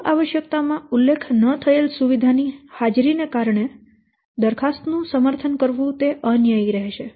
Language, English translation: Gujarati, It will be unfair to favor a proposal because of the presence of a feature not requested in the original requirement